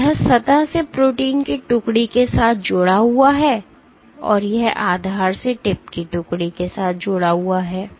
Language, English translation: Hindi, So, this is associated with detachment of protein from the surface and this is associated with detachment of tip from the footing